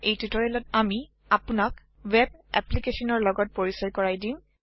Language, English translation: Assamese, In this tutorial we introduce you to a web application